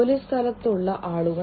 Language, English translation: Malayalam, People at work